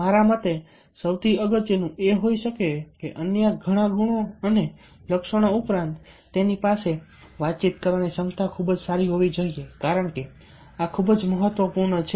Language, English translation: Gujarati, amongs to many other things, according to me, the most important one might be that, besides many other qualities and traits, he or she must have ah very good communication ability, because this is very, very important